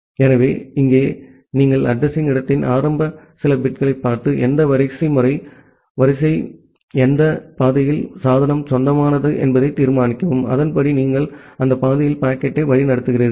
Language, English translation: Tamil, So, here you just look into the initial few bits of the address space and determine that in, which hierarchy, in which path of the hierarchy, the device belong to and accordingly you route the packet in that path